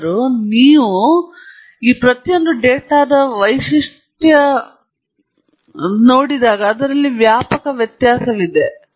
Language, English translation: Kannada, However, as you can see, there is such a wide difference in the features of each of this data